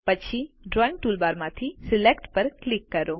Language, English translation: Gujarati, Then, from the Drawing toolbar click Select